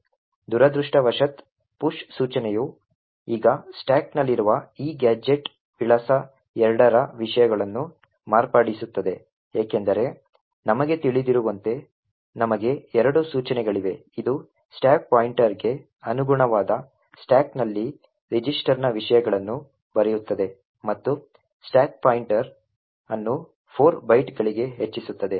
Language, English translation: Kannada, Unfortunately the push instruction now modifies the contents of this gadget address 2 in the stack because as we know when we have a push instruction it does two things it writes the contents of the register on the stack corresponding to the stack pointer and also increments the stack pointer by 4 bytes